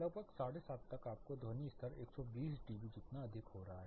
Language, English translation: Hindi, Around 7:30 you are getting sound levels as high as 120 dB